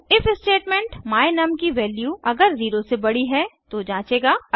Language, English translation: Hindi, The if statement will check if the value of my num is greater than 0